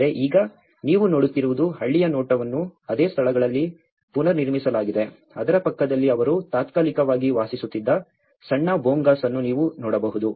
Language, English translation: Kannada, But now, what you are seeing is a view of the village which has been reconstructed at the same places like you can see a small Bhongas next to it where they were living temporarily